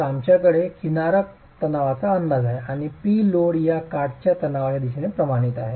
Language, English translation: Marathi, So, we have an estimate of the edge compressive stress and p the load is directly proportional to this edge compressive stress